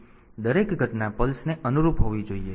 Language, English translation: Gujarati, So, each event should correspond to a pulse